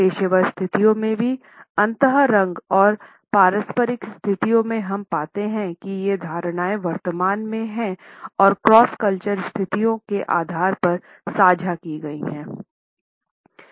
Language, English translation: Hindi, In professional situations also in dyadic and in interpersonal situations we find that these perceptions are dominantly present and shared by cross cultural situations